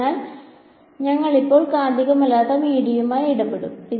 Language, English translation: Malayalam, So, we will deal with non magnetic media for now ok